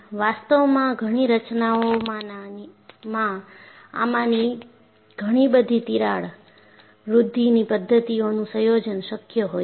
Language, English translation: Gujarati, So, in reality, many structures will have combination of many of these crack growth mechanisms possible